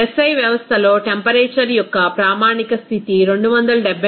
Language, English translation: Telugu, In SI system, that standard condition of the temperature is 273